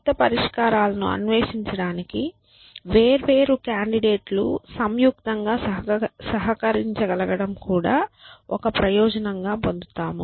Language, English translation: Telugu, You also get benefit from the fact that different candidates can contribute jointly to exploring new solutions